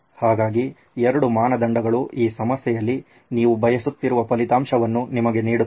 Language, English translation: Kannada, So, these are 2 criteria that will give you the desired result that you are seeking in this problem